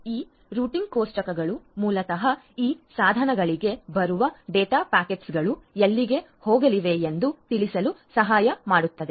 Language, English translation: Kannada, These routing tables will basically help the data packets that are coming to these devices to know where they are going to go to